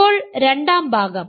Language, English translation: Malayalam, Now, the second part